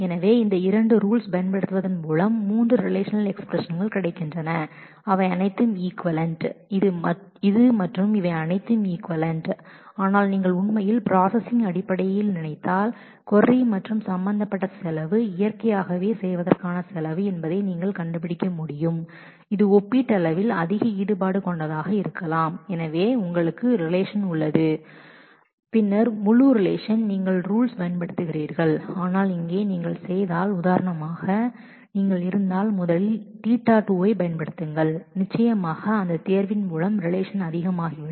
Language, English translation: Tamil, So, applying these two rules we get 3 relational expressions which are all equivalent this, this and this are all equivalent, but if you actually think in terms of processing the query and the cost involved you will be able to figure out that naturally the cost of doing this may be relatively more involved because you have the relation and then on the whole relation you are applying the conditions, but here if you do for example, if you first do say first apply theta 2 certainly by that selection the relation would become much smaller